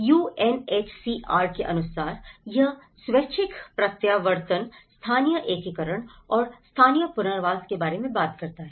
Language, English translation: Hindi, So, as per the UNHCR, it talks about the voluntary repatriation, the local integration and the local resettlement